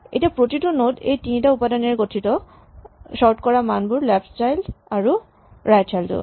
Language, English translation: Assamese, So, each node now consist of three items the value being stored the left child and the right child